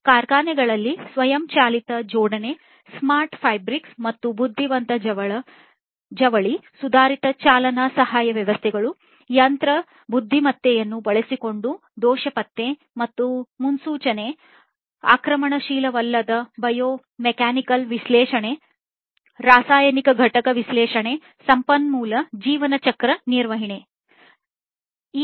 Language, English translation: Kannada, Automatic assembly in factories, smart fabric and intelligent textiles, advanced driving assistance systems, fault detection and forecast using machine intelligence, non invasive biomechanical analysis, chemical component analysis resource lifecycle management